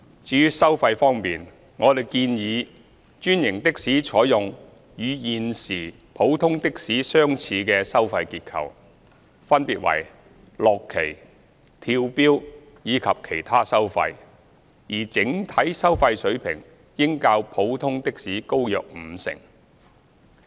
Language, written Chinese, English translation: Cantonese, 至於收費方面，我們建議專營的士採用與現時普通的士相似的收費結構，分別為落旗、跳錶及其他收費，而整體收費水平應較普通的士高約五成。, As regards the fares we propose that franchised taxis adopt a fare structure similar to the existing one of ordinary taxis comprising flagfall fares incremental fares after flagfall and other charges . The overall fare level should be about 50 % higher than that of ordinary taxis